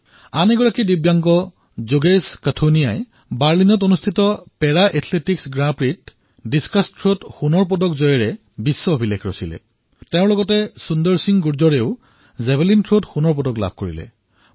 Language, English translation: Assamese, Another Divyang, Yogesh Qathuniaji, has won the gold medal in the discus throw in Para Athletics Grand Prix in Berlin and in the process bettered the world record, along with Sundar Singh Gurjar who also won the gold medal in javelin